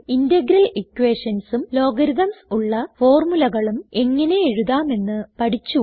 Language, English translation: Malayalam, Now let us see how to write formulae containing logarithms